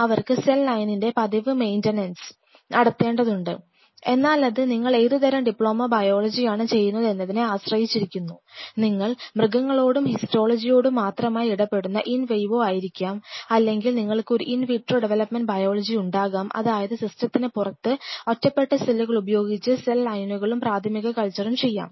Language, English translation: Malayalam, So, they have something you know regular maintenance of cell line and again it depends on what kind of diploma biology you are doing, you could be could have in vivo where you are exclusively dealing with animals and histology or you have an in vitro development biology where you are doing everything outside the system with isolated cells then definitely cell lines and primary cultures